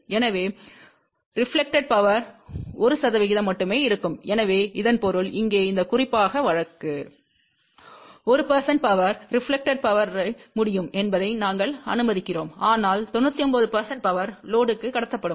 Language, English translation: Tamil, So that means, reflected power will be only 1 percent ; so that means, here in this particular case, we are allowing that 1 percent power can reflect but 99 percent power will get transmitted to the load